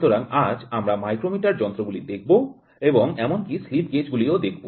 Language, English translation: Bengali, So, today we will see micrometer instruments and even see also slip gauges